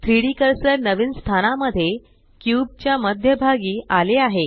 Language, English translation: Marathi, The 3D cursor snaps to the centre of the cube in the new location